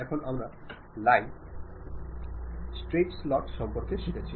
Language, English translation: Bengali, Now, we have learned about line, rectangles, straight slots